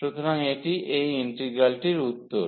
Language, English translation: Bengali, So, that is the answer of this integral